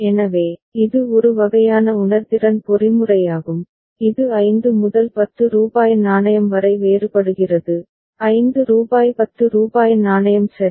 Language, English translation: Tamil, So, that is a kind of sensing mechanism which differentiates between, differentiates between 5 and rupees 10 coin, rupees 5 rupees 10 coin ok